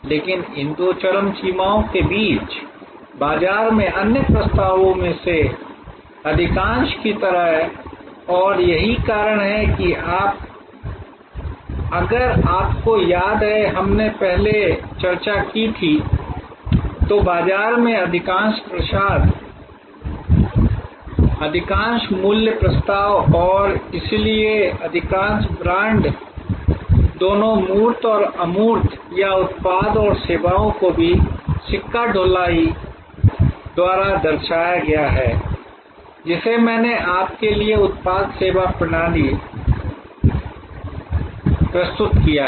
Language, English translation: Hindi, But, between these two extremes, like most of the other offerings in the marketplace and that is why if you remember we had discussed earlier, that most offerings in the marketplace, most value proposition and therefore most brands are both tangible and intangible or products and services depicted also by the coinage, which I presented to you product service system